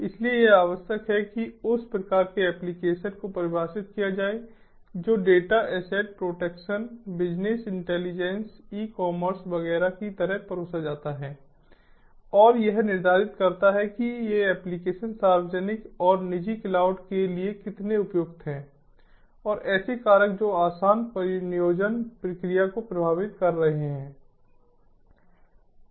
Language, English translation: Hindi, so it is required to define the type of application that will be served, like the data, asset protection, business intelligence, e commerce, etcetera and determine how suitable these applications are for public and private clouds and the factors that are affecting the easy deployment process